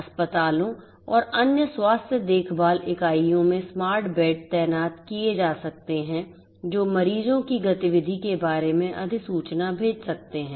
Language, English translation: Hindi, In hospitals and other health care units smart beds can be deployed which can send notification about the patients activity